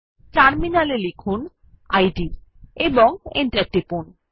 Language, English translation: Bengali, At the terminal, let us type id and press Enter